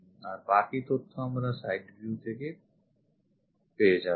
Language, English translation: Bengali, The remaining information we will get it from the side view